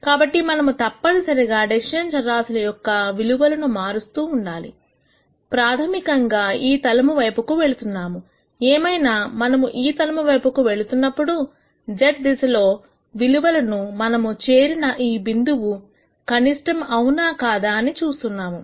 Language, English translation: Telugu, So, essentially when we keep changing the values for the decision variables we are basically moving in this plane; however, while we are moving this plane we are looking at the values in the z direction to nd out whether the point that we have reached is a minimum or not